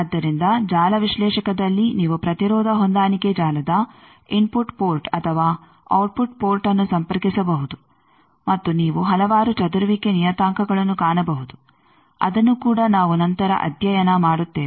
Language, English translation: Kannada, So, in network analyser you can connect the input port or output port of the impedance matching network and you can find various scattering parameters that also we will study later by that